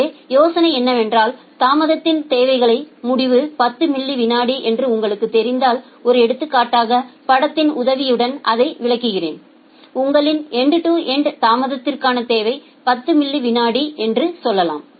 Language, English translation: Tamil, So, the idea is there that if you know that well your end to end delay requirement is say 10 millisecond, let me explain it with the help of an example figure say your end to end delay requirement is 10 milliseconds